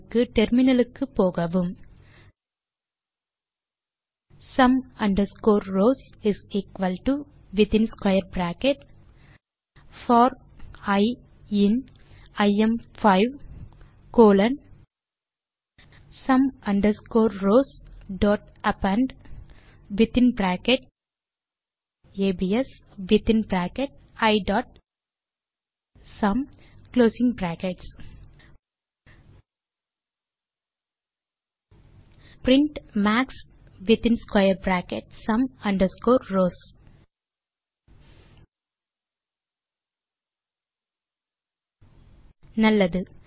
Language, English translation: Tamil, Switch to terminal for the solution sum underscore rows = square bracket for i in im5 colon sum underscore rows.append within bracket abs within bracket i.sum() print max within square bracket sum underscore rows Well